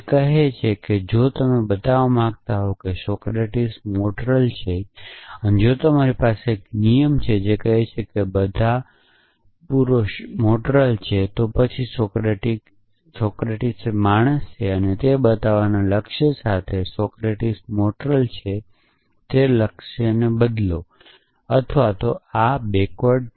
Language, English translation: Gujarati, It says that if you want to show that Socratic is mortal and if you have a rule which says all men are mortal, then substitute or replace the goal of showing that Socratic is mortal with the goal of showing that Socratic is a man